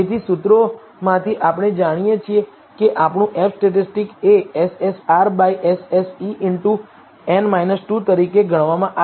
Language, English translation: Gujarati, So, from the formulae we know our F statistic is computed as SSR by SSE into n minus 2